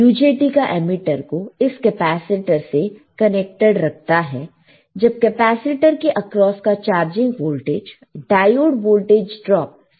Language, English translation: Hindi, The emitter of the UJT is kept connected to the capacitor when the charging voltage Vc crosses the capacitor becomes greater than diode voltage drop